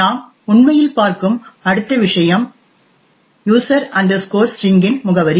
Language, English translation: Tamil, The next thing we actually look at is the address of user string